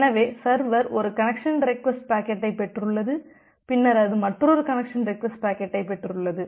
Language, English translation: Tamil, So, the server has received one connection request packet and then it has received another connection request packet